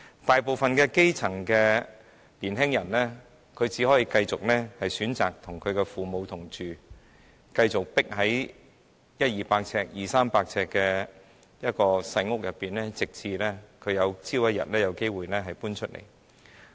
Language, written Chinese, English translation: Cantonese, 大部分的基層年青人只可以選擇繼續與父母同住，繼續擠在100至300平方呎的小單位內，直至他們有機會搬離。, Most grass - roots youngsters can only choose to continue living with their parents and squeeze in the tiny flats of 100 sq ft to 300 sq ftuntil they have a chance to move out